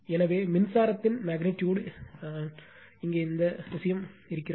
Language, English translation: Tamil, So, magnitude of the current I your what you call here one, here one this thing is there